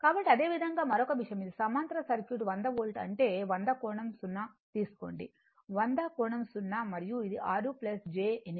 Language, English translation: Telugu, So, similarly another thing is given this a parallel circuit 100 Volt means, you take 100 angle 0, hundred angle 0 and it is 6 plus your j 8 and this is your 4 minus j , j 3 right